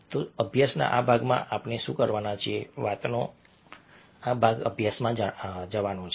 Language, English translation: Gujarati, so what we are going to do in this part of a, the study, this part of the talk, is to go in for a study